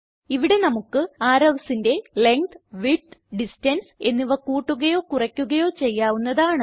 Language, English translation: Malayalam, Here we can increase or decrease Length, Width and Distance of the arrows